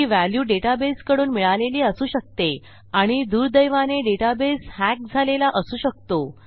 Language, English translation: Marathi, This value may have been instructed from the data base and data bases can be broken into unfortunately